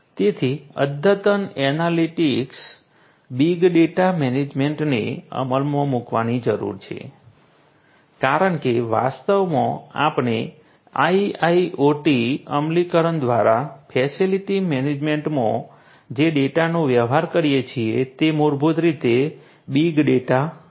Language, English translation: Gujarati, So, advanced analytics big data management needs to be implemented because actually the nature of the data that we deal in facility management through the IIoT implementations are basically the big data